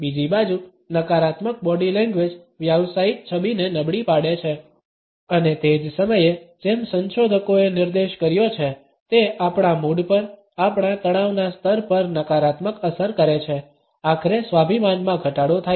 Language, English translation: Gujarati, On the other hand negative body language impairs a professional image and at the same time as researchers have pointed, it leaves a negative impact on our mood, on our stress levels, ultimately resulting in the diminishing self esteem